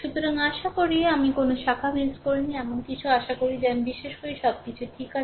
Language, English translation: Bengali, So, hope I have not missed any branch or anything hope everything is correct I believe right